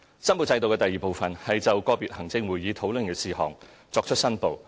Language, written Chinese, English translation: Cantonese, 申報制度的第二部分是就個別行政會議討論的事項作出申報。, The second part of the declaration system is declarations in respect of individual items discussed by the ExCo